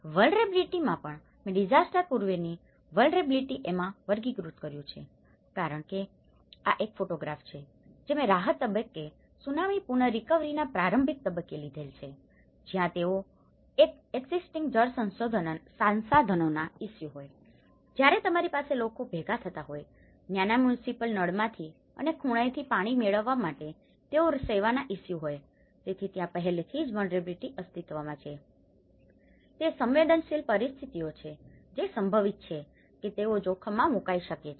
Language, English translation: Gujarati, In vulnerability also, I have classified into pre disaster vulnerabilities which are because, This is a photograph which I have taken in the early stage of Tsunami recovery in the relief stage where they have an existing water resources issues, you have, people used to gather, to get water from the small municipal taps and around the corners and they have service issues so, there are already an existing vulnerable situations it could be they are prone to the hazards